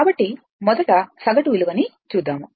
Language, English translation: Telugu, So, let us first ah, go through the average value